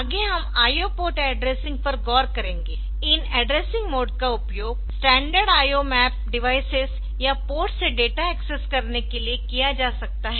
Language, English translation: Hindi, so there are these addressing modes can be used for to access data from standard IO map devices or port